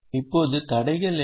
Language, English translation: Tamil, now, what are the constraints